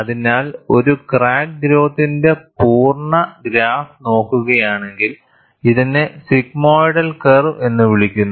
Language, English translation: Malayalam, So, if you look at the complete graph of a crack growth, this is known as a sigmoidal curve